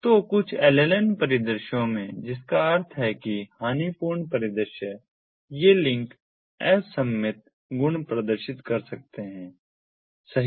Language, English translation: Hindi, so in some lln scenarios that means the lossy scenarios these links may exhibit asymmetric properties, right